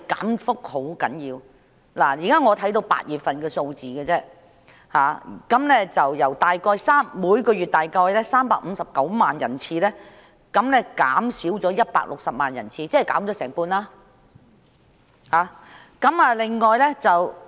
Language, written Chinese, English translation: Cantonese, 我目前只能看到8月份的數字，由每月約359萬人次減少160萬人次，即減少了接近一半。, Only the figure for August is available at this moment and it has decreased by 1.6 million from about 3.59 million per month that is the figure has reduced by almost a half